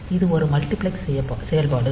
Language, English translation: Tamil, So, this is a multiplexed operation